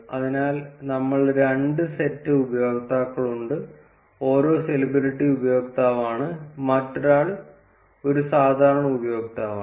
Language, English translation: Malayalam, So, we have two sets of users; one is the celebrity user and the other is a normal user